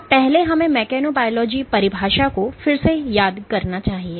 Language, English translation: Hindi, So, let me first recap our definition of mechanobiology